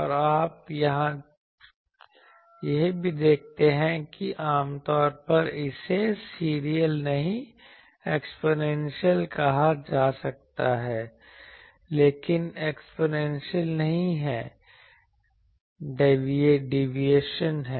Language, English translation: Hindi, And also you see that typically it can be said exponential, but it is not exponential there are deviations